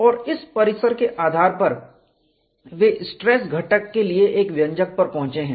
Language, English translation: Hindi, Based on this premise, they have arrived at an expression for stress component